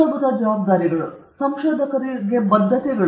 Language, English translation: Kannada, Basic responsibilities and commitments to researchers